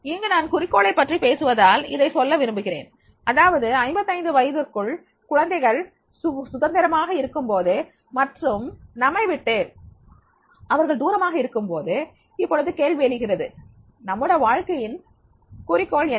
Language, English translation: Tamil, Here I would also like to mention because I am talking about the goal that is at the life stage of the 50s and 55 when the children are they independent and they are away and now the question arises what is goal of your life